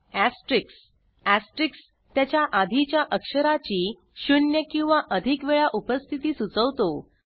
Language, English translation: Marathi, The Asterisk: The asterisk refers to 0 or more occurrences of the immediately preceding character